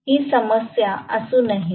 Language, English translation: Marathi, It should not be a problem